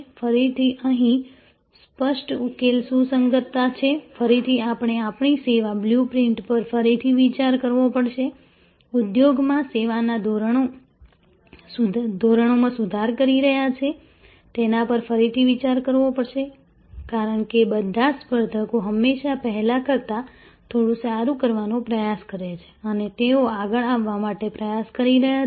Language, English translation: Gujarati, Again, here obvious the solution is conformance, again we have to actually relook at our service blue print, relook at our they ever improving service standard in the industry, because all competitors are always trying to do a bit better than before and they are trying to be one up